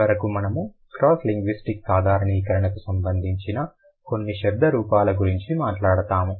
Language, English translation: Telugu, And finally, we'll talk about a few phonological forms related to cross linguistic generalization